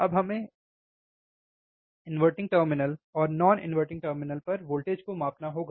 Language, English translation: Hindi, Now inverting we have to measure voltage at inverting terminal and we have to measure voltage at non inverting terminal